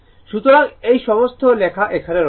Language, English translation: Bengali, So, all this write up is here